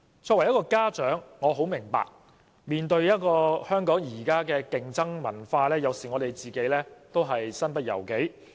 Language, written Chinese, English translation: Cantonese, 身為一名家長，我很明白香港現時面對的競爭文化，有時候家長也感到身不由己。, As a parent I understand very well the competitive culture faced by Hong Kong today . Sometimes parents lose control of themselves too